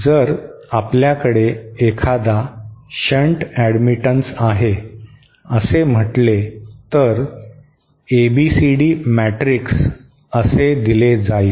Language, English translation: Marathi, If we have say a shunt admittance, an admittance connected in shunt like this, then it is ABCD matrix is given like this